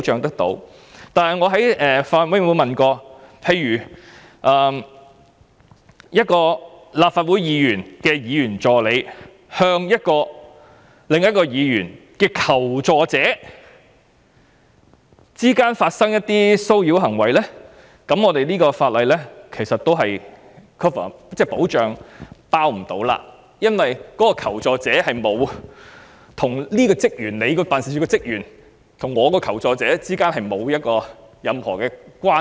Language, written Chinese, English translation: Cantonese, 但是，正如我在法案委員會提過，如果一位議員助理與另一位議員的求助者之間發生騷擾行為，便不屬於法例的保障範圍，原因是這名求助者與議員助理之間並沒有任何關係。, Notwithstanding that as I said in the Bills Committee the harassment between a Members assistant and a person seeking help from the Member does not fall within the protection of the law because the person seeking help does not have any relationship with the Members assistant